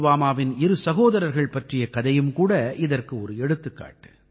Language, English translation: Tamil, The story of two brothers from Pulwama is also an example of this